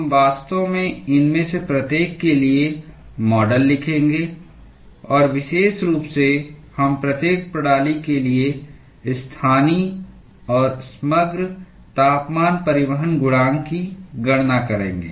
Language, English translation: Hindi, We will actually write models for each of these, and particularly, we will compute the local and the overall heat transport coefficient for each of the systems